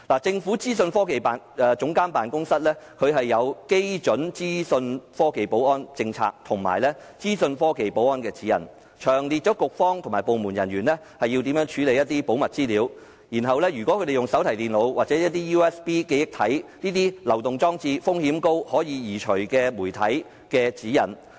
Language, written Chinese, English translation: Cantonese, 政府資訊科技總監辦公室訂有基準資訊科技保安政策及《資訊科技保安指引》，詳列局方和部門人員應如何處理保密資料，以及使用手提電腦、USB 記憶體這些高風險流動裝置和可移除式媒體的指引。, The Office of the Government Chief Information Officer OGCIO has formulated the Baseline IT Security Policy and the IT Security Guidelines setting out detailed guidelines for the staff of Policy Bureaux and departments on handling classified information and high - risk mobile devices such as laptops USB memory sticks and removable media